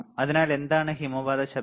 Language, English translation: Malayalam, So, what is avalanche noise